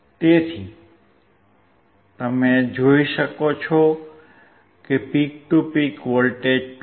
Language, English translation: Gujarati, So, here you can see the peak to peak voltage is 2